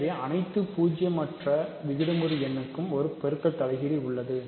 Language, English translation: Tamil, So, multiplicative every non zero rational number has a multiplicative inverse